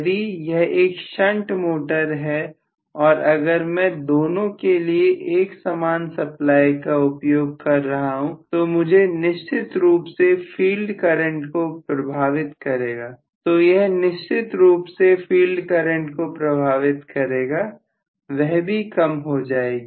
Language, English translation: Hindi, If it is a shunt motor and if I am using a common supply for both then I am definitely going to have a problem with the field current as well, that will also decrease